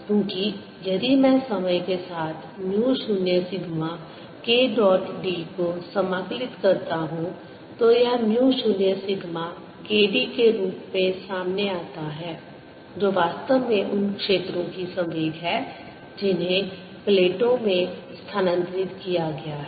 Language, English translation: Hindi, finally, when by integrate over the entire time in time momentum, mu zero, k sigma d will into the plates momentum, because if i integrate mu zero, sigma k dot d over time this comes out to be mu zero sigma k d, which is in need, the momentum of the fields that has been transferred to the plates